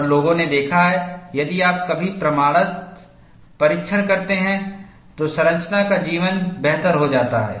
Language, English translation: Hindi, And people have noticed, if you do proof testing occasionally, the life of the structure is improved